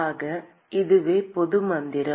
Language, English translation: Tamil, So, this is the general mantra